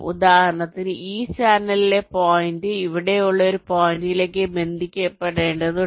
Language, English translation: Malayalam, for example, i need to connect ah point here on this channel to a point here